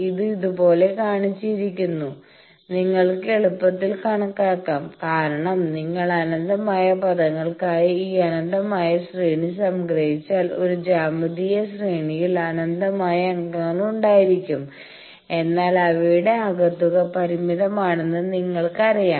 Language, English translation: Malayalam, That is shown like this, you can easily calculate because if you sum this infinite series for infinite terms you know that a geometric series the series may be infinite members may be infinite, but their sum is finite